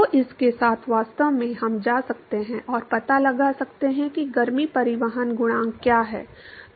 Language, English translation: Hindi, So, with this actually we can go and find out what is the heat transport coefficient